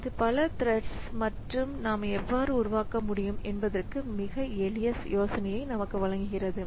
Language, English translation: Tamil, So, this gives us a very simple idea like how can I create a number of threads